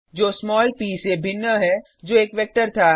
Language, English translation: Hindi, Which is different from small p that was a vector